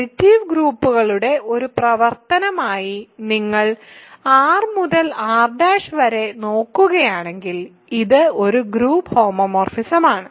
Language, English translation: Malayalam, If you look at R and R prime R to R prime as a function of the additive groups, this is a group homomorphism ok